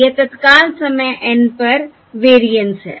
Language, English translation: Hindi, this is the variance at time: N plus 1